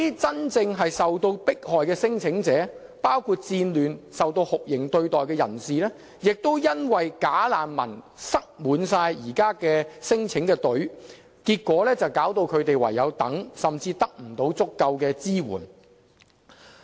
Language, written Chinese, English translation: Cantonese, 真正受迫害的聲請者，包括因戰亂而受酷刑對待的人士，亦因"假難民"擠滿現時輪候免遣返聲請的隊伍，結果導致他們唯有等待，甚至不獲足夠的支援。, That a large number of bogus refugees have crowded the queue for non - refoulement protection means longer waiting time for claimants at genuine risk of persecution including those tortured because of war and they are also deprived of adequate support as a consequence